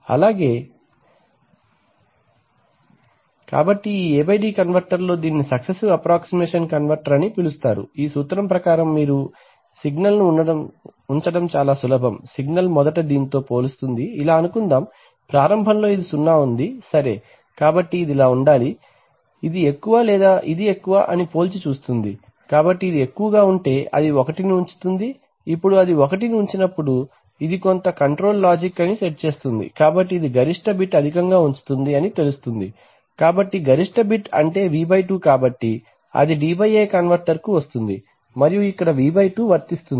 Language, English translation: Telugu, So for example in this A/D converter which, which is called successive approximation converter, principle is very simple you put a signal, the signal first compares with the, suppose this is, initially this is 0, initially this 0 right, so this just compares whether this should be, this is higher or this is higher, so if this is higher it puts it 1, now when it puts it 1, it sets the this is some control logic, so this will put the maximum bit high, that will know, so maximum bit means V/2 so that will come to the D/A converter and will apply a V/2 here